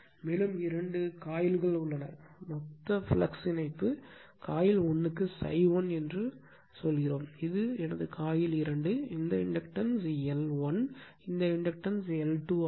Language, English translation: Tamil, And two coils are there so, if my total flux linkage, if total flux linkages say my phi say this phi 1 for this coil 1, this is coil 1, this is my coil 1, and this is my coil 2, this inductance is L 1, inductance is L 2